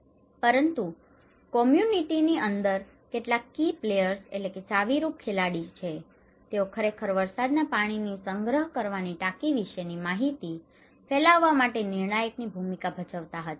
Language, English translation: Gujarati, But also, there are some key players inside the community okay, they actually played a critical role to disseminate informations about the rainwater harvesting tank